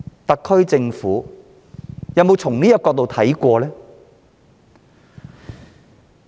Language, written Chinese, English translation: Cantonese, 特區政府有否從這個角度思考過？, Has the SAR Government ever taken these matters into consideration?